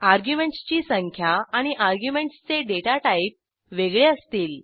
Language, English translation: Marathi, The number of arguments and the data type of the arguments will be different